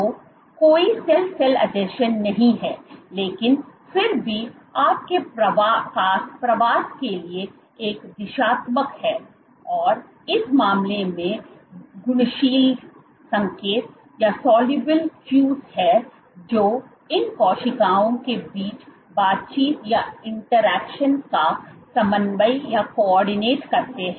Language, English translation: Hindi, So, there are no cell cell adhesions, but still you have a directional to the migration in this case there are soluble cues which coordinate the interaction between these cells